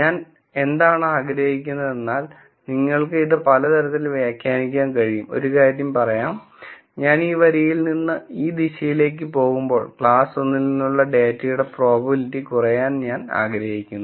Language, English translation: Malayalam, What I would like to do, is you can interpret it in many ways one thing would be to say, as I go away from this line in this direction, I want the probability of the data belonging to class 1 to keep decreasing